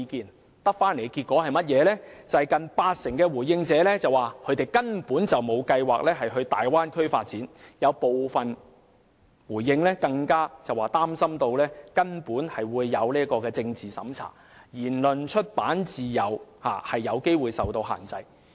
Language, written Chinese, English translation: Cantonese, 他們所得的結果，是近八成回應者表示根本沒有計劃前往大灣區發展，有部分回應者更表示擔心會有政治審查，言論及出版自由有機會受限制。, The feedback they received was that nearly 80 % of the respondents indicated that they had no intention whatsoever to seek development in the Bay Area . Some respondents even expressed concern about political screening and possible restrictions on freedom of speech and of publication